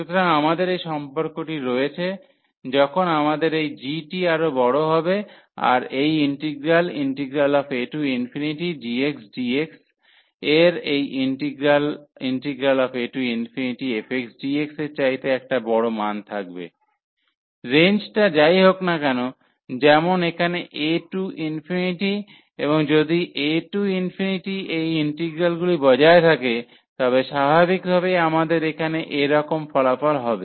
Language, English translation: Bengali, So, we have indeed this relation when we have this g bigger that this integral this g will be having the larger value then this integral f d x d x, whatever range we are talking about here like a to infinity and a to infinity if these integral exist naturally in that case, we have such a result here